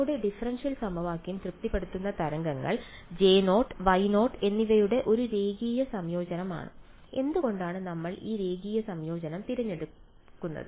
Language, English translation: Malayalam, The waves that satisfy our differential equation are just a linear combination of J naught and Y naught, and why did we choose that linear combination